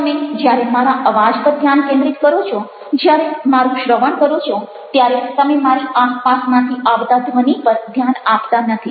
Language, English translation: Gujarati, when you focusing on my voice, when you are listening to me, you are no longer able to focus on the ambient sounds with surround me